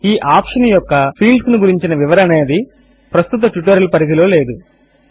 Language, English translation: Telugu, Explanation of the fields of this option is beyond the scope of the present tutorial